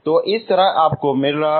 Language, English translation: Hindi, So like this you are getting